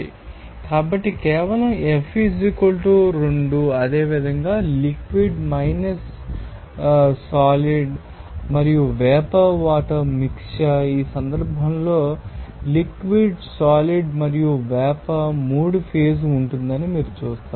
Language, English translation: Telugu, So, simply F = 2 similarly a mixture of liquid solid and vapour water, in this case, you will see that liquid solid and vapour 3 phase will be there